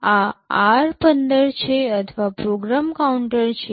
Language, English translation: Gujarati, This is r15 or the program counter